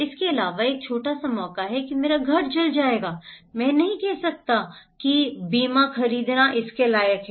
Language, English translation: Hindi, Also, there is a small chance my house will burn down, I cannot say buying insurance is worth it